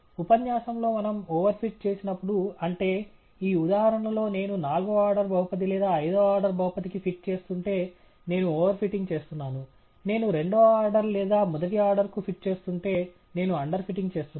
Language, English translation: Telugu, In the lecture, I pointed out that when we over fit, that is, in this example if I fit a fourth order polynomial or a fifth order polynomial I am over fitting; if I fit a second order or a first order, I am under fitting